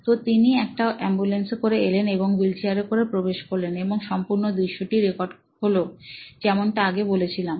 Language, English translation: Bengali, So, he was wheeled in from an ambulance and the whole thing was being recorded as I told you earlier